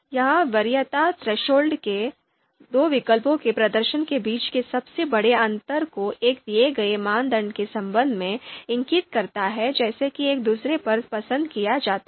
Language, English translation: Hindi, So this preference threshold indicates the largest difference between the performances of two alternatives with respect to a given criteria such that one is preferred over the other